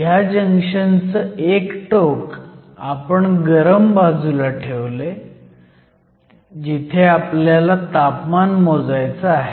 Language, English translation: Marathi, So, One end of this junction is placed in the hot side, where the temperature we want to measure